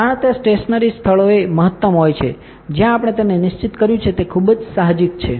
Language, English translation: Gujarati, The stresses are maximum at the fix places where we are fixed it of it is very intuitive